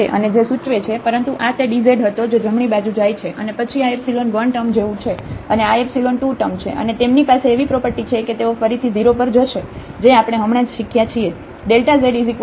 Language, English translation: Gujarati, And which implies, but this was the dz that goes to the right hand side, and then this is like epsilon 1 term, and this is epsilon 2 term, and they have the property that they will go to 0 again which we have just learned before